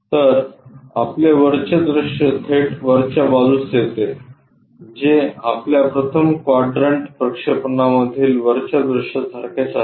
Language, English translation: Marathi, So, your top view straight away comes at top side which is same as your top view in the 1st 1st quadrant projection